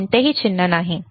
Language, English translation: Marathi, There is no sign, right